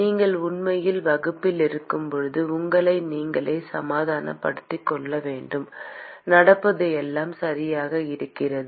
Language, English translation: Tamil, You have to convince yourself when you are actually in the class everything that is happening is right